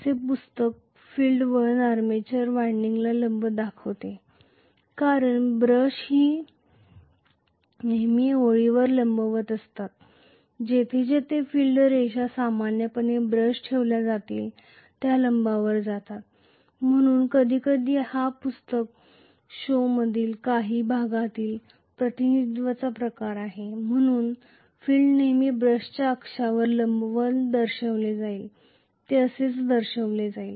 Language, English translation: Marathi, So, I may have my field winding here some book show the field winding perpendicular to the armature winding because the brushes are always connected perpendicular to the line where ever the field lines are going generally perpendicular to that the brushes will be placed, so that is the reason why sometimes this is the kind of representation some of the book show, the field will always be shown perpendicular to the brush axis, that is how it will be shown